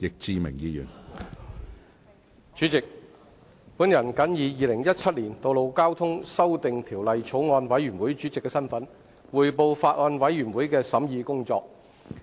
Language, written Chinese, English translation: Cantonese, 主席，我謹以《2017年道路交通條例草案》委員會主席的身份，匯報法案委員會的審議工作。, President in my capacity as Chairman of the Bills Committee on Road Traffic Amendment Bill 2017 I would like to report on the deliberations of the Bills Committee